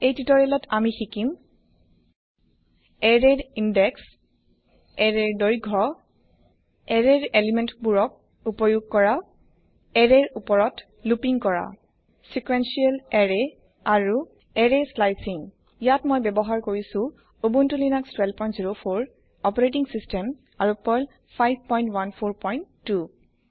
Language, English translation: Assamese, In this tutorial, we will learn about Index of an array Length of an array Accessing elements of an array Looping over an array Sequential Array And Array Slicing Here I am using Ubuntu Linux12.04 operating system and Perl 5.14.2 I will also be using the gedit Text Editor